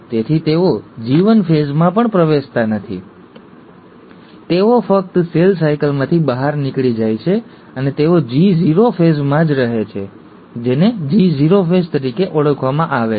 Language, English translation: Gujarati, So they do not even enter the G1 phase, they just exit the cell cycle and they stay in what is called as the G0 phase